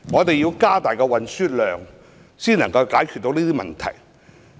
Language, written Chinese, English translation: Cantonese, 只有透過增加載客量，才能解決這問題。, Only by increasing passenger capacity can this problem be solved